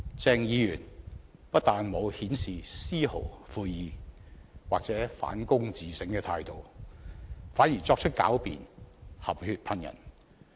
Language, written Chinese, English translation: Cantonese, 鄭議員不但沒有顯示絲毫悔意或反躬自省的態度，反而作出狡辯，含血噴人。, Instead of showing the slightest remorse or an attitude of self - reflection Dr CHENG applied sophistry and made slanderous accusations of others